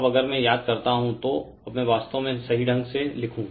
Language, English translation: Hindi, Now, if I recall, now I will not really hope I write correctly